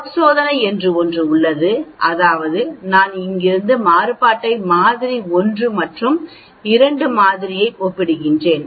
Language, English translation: Tamil, One test that is there is called F test, that means I am comparing the variation from here sample 1 and a sample 2